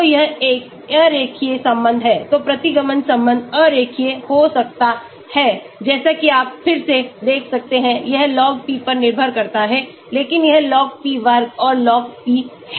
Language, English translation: Hindi, So, it is a nonlinear relation, so the regression relation could be nonlinear as you can see again it depends on log p, but it is log p square and log p